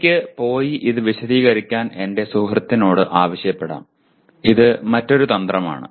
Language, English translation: Malayalam, I may go and ask my friend to explain it to me or this is another strategy